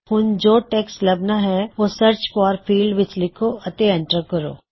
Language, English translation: Punjabi, Enter the text that you want to search for in the Search for field